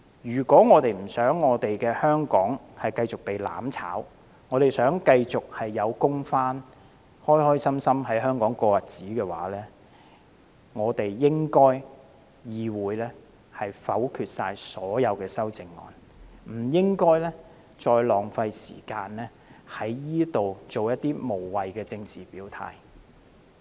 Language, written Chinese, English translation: Cantonese, 如果我們不想香港繼續被"攬炒"，希望市民繼續有工作，可以開開心心在香港過日子，便應該否決所有修正案，而不應繼續浪費時間在此作出無謂的政治表態。, If we do not want Hong Kong to be further destroyed by mutual destruction but that everyone in Hong Kong can keep their job and have a happy life we should vote against all the amendments and stop wasting time on making meaningless political statements in the Council